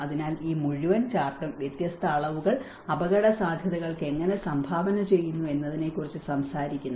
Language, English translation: Malayalam, So, this whole chart talks about how different dimensions contribute to the risks